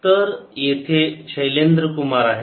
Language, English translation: Marathi, so here is shailendra kumar